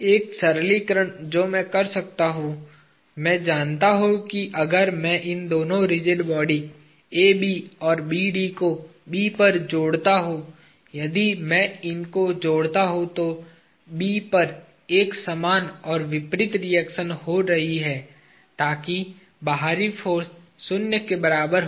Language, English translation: Hindi, One simplification that I can do is I know if I combine these two at B, the rigid body AB and BD, if I combine them there is an equal and opposite reaction taking place at B; so that the external force is equal to zero